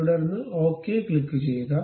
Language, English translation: Malayalam, Then click ok